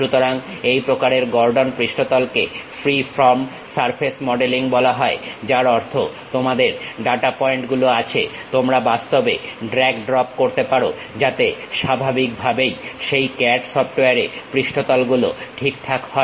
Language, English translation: Bengali, So, these kind of Gordon surface is called freeform surface modelling, that means, you have data points you can really drag drop, so that surface is naturally adjusted on that CAD software